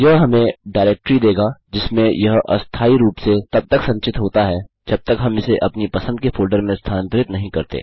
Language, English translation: Hindi, This will give us the directory that its stored in temporarily until we transfer it to the folder of our choice